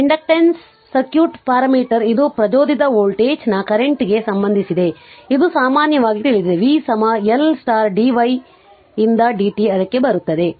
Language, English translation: Kannada, The circuit parameter of the circuit parameter of inductance your relates the induced voltage to the current, this you know in general you know v is equal to L into dy by dt will come to that right